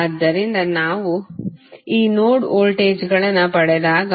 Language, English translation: Kannada, So, when we get these node voltages